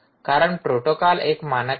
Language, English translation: Marathi, because protocol is, there is a standard